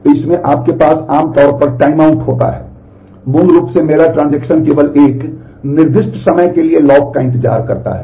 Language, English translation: Hindi, So, in this you usually have time out basically my transaction waits for a lock only for a specified amount of time